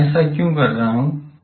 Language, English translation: Hindi, Why I am doing this